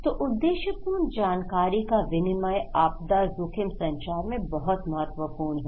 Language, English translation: Hindi, So, purposeful exchange of information in disaster risk communication is very important